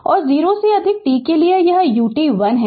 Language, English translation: Hindi, And for t greater than 0, this U t is 1